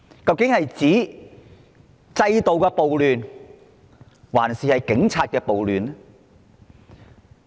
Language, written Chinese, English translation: Cantonese, 究竟是要停止制度的暴亂，還是警察的暴亂？, Which one should we stop institutional violence or police violence?